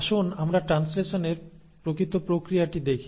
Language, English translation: Bengali, Now let us look at the actual process of translation